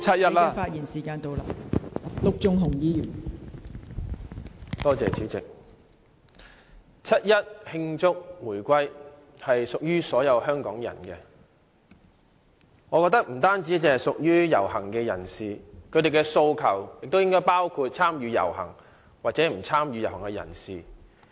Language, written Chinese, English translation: Cantonese, 代理主席，我覺得七一慶祝回歸屬於所有香港人，並不單只屬於遊行人士，而市民的訴求亦應包括參與和不參與遊行的人士。, Deputy President I think the reunification celebration on 1 July is an event for all Hong Kong people but not just the participants of the march; and the aspirations of the people should include those who participate or not participate in the march